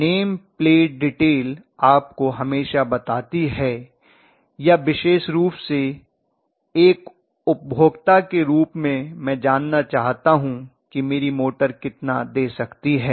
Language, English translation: Hindi, The name plate detail always gives you especially as a consumer I would like to know how much my motor can deliver